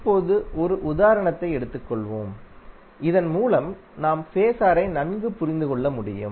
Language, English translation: Tamil, Now, let us take one example so that you can better understand the term of Phasor